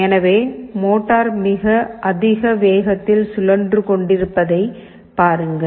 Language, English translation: Tamil, So, see the motor is rotating at a very high speed, high speed